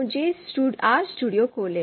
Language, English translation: Hindi, So let me open RStudio